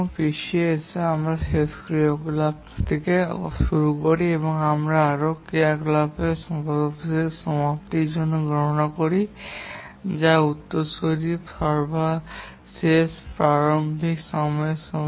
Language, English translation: Bengali, In backward pass, we start from the last activity and here we compute the latest completion time of the activity which is equal to the latest start time of its successor